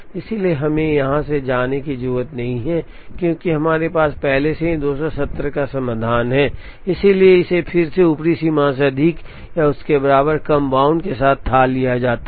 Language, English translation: Hindi, So, we do not have to move from here, because we already have solution of 270, so this is again fathomed with lower bound greater than or equal to upper bound